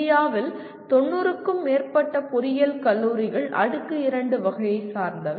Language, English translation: Tamil, More than 90% of engineering colleges in India belong to the Tier 2 category